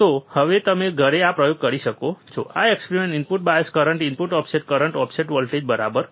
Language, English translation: Gujarati, So now, you can do this experiments at home what experiment input bias current input offset current input offset voltage, right